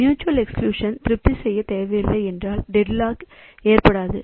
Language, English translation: Tamil, So, if mutual exclusion is not required to be satisfied then deadlock cannot occur